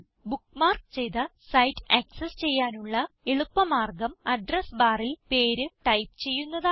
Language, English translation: Malayalam, The easiest way, to access a site that you bookmarked, is to type the name in the Address bar